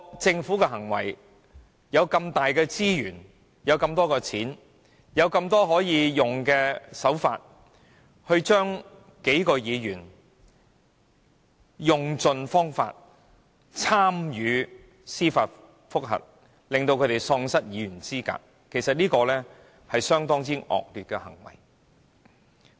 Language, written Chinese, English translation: Cantonese, 政府擁有這麼龐大的資源及金錢，竟然用盡可以採用的手法，透過司法覆核，令數名議員喪失議員資格，這是相當惡劣的行為。, The Government possesses ample resources and money and this is indeed very wicked of the Administration to resort to every possible means to disqualify several Members from their office through judicial reviews